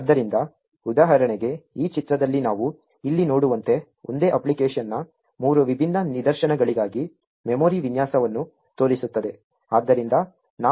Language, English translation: Kannada, So, for example in this figure as we see over here which shows the memory layout for three different instances of the same application